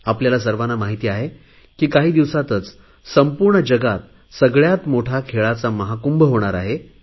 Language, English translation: Marathi, All of us know that in a few days time, the world's largest sports event, the biggest sports carnival will take place